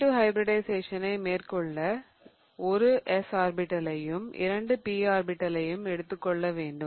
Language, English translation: Tamil, So, in order to do SP2 hybridization, remember I have to take one of the S orbitals and two of the P orbitals